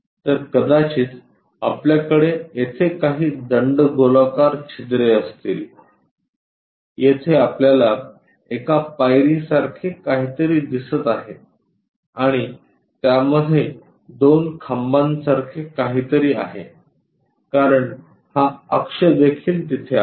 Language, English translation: Marathi, So, here we might be going to have some cylindrical hole, here we have to see something like a step and it has two legs kind of thing because this axis is also there